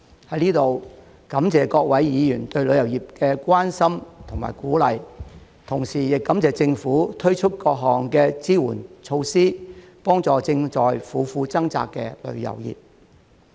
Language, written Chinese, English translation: Cantonese, 在此，感謝各位議員對旅遊業的關心和鼓勵，同時亦感謝政府推出各項支援措施，幫助正在苦苦掙扎的旅遊業。, Here I would like to thank Members for their concern and encouragement for the tourism sector as well as the Government for introducing various support measures to help the struggling tourism sector